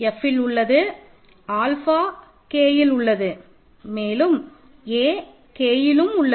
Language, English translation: Tamil, So, remember K contains F if you have some alpha here and some a here a is also in K